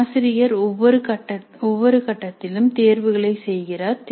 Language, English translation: Tamil, So the teacher makes the choices at every stage